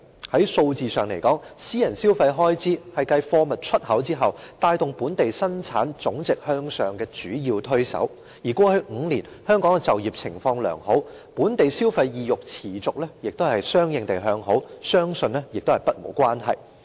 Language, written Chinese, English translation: Cantonese, 從數字上看來，私人消費開支是繼貨物出口之後，帶動本地生產總值向上的主要推手，而過去5年，香港的就業情況良好，本地消費意欲持續和相應地向好，相信與此不無關係。, The figures showed that private consumption expenditure was a key driver of Gross Domestic Product growth after exports of goods . I believe the positive local consumer sentiment is somewhat related to the good employment situation in the past five years